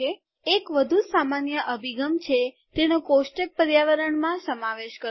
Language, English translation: Gujarati, A more common approach is to include it in the table environment